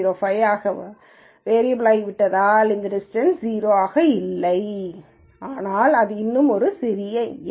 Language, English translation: Tamil, 05 this distance is no more 0, but it is still a small number